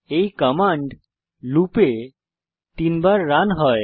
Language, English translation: Bengali, These commands are run 3 times in a loop